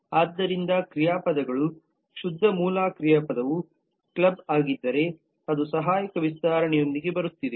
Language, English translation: Kannada, so the pure original verb is a club then it is coming with an auxiliary extension